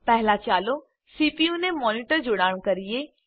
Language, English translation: Gujarati, First, lets connect the monitor to the CPU